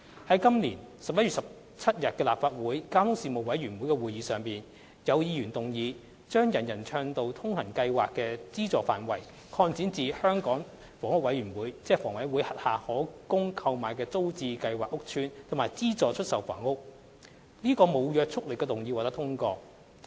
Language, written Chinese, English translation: Cantonese, 在本年11月17日的立法會交通事務委員會會議上，有議員動議將"人人暢道通行"計劃的資助範圍擴展至香港房屋委員會轄下可供購買的租者置其屋計劃屋邨及資助出售房屋；該無約束力動議獲得通過。, At the Legislative Council Panel on Transport meeting on 17 November this year Member moved the motion for the Government to expand the funding scope of the UA Programme to cover Tenants Purchase Scheme TPS estates where flats are available for purchase as well as subsidized sale flats under the Hong Kong Housing Authority HA; the said unbinding motion was passed